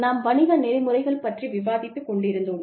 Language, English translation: Tamil, We were discussing, Business Ethics